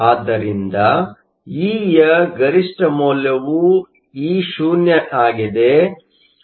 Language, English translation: Kannada, So, the maximum value of E is Eo